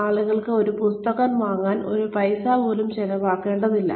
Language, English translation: Malayalam, People do not have to spend, even one paisa to buy a book